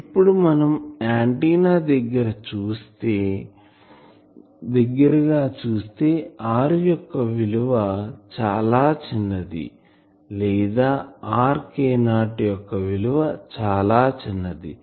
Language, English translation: Telugu, Now, close to the antenna these r value is very small or k not r that is very small